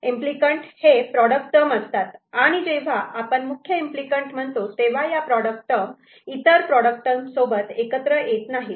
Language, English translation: Marathi, Implicants are the product terms, when we say prime implicants, then these are the product terms, which cannot be combined with any other product terms